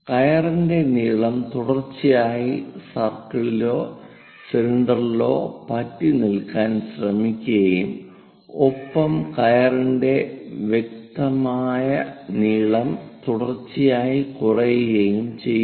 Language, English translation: Malayalam, The rope length continuously it try to own the circle or cylinder and the length whatever the apparent length we are going to see that continuously decreases